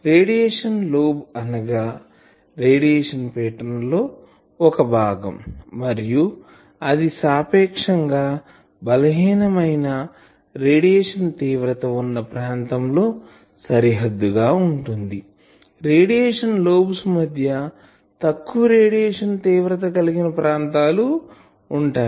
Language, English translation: Telugu, So, we define radiation lobe as the portion of the radiation pattern bounded by region of relatively weak radiation intensity, portion of the radiation pattern bounded by region of relatively weak radiation intensity